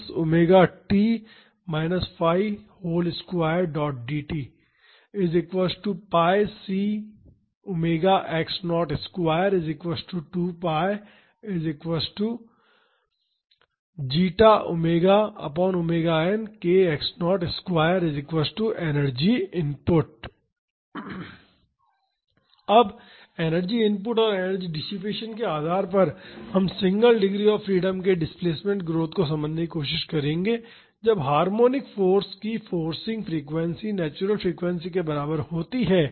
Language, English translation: Hindi, Now, based on the energy input and the energy dissipation, we will try to understand the displacement growth of a single degree of freedom system, when the forcing frequency of the harmonic force is equal to the natural frequency